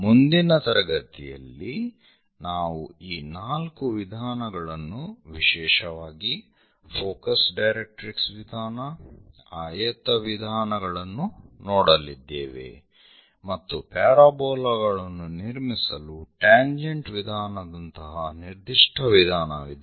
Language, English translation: Kannada, And, in next class, we will look at these four methods especially focus directrix method, rectangle method and there is a special case like tangent method to construct parabolas and how to draw tangent and normal to parabolas also we will see